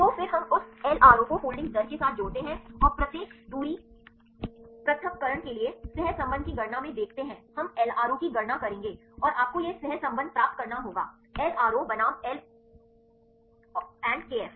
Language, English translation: Hindi, So, then we relate that LRO with the folding rate and look into calculate the correlation for each distance separation we will calculate the LRO and you have to get this correlation there is LRO versus l and kf